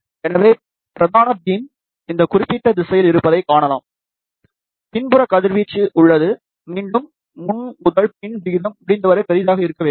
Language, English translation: Tamil, So, you can see that main beam is in this particular direction, there is a back radiation, and again front to back ratio should be as large as possible